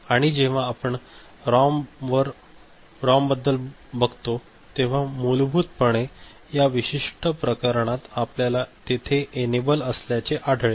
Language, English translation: Marathi, And when you take it to ROM so, basically in this particular case we’ll see that there is an enable